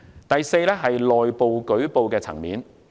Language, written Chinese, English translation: Cantonese, 第四，內部舉報。, Fourthly internal reporting